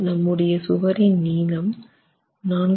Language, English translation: Tamil, In this case, length of the wall is 4